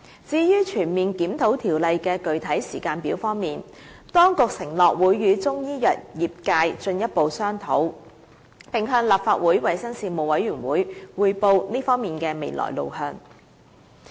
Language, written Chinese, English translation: Cantonese, 至於全面檢討《條例》的具體時間表，當局承諾會與中醫藥業界進一步商討，並向立法會衞生事務委員會匯報這方面的未來路向。, As regards drawing a concrete timetable for a comprehensive review of CMO the Administration has undertaken that it will have further discussions with the Chinese medicines industry and brief the Panel on Health Services of the Legislative Council on the way forward in this regard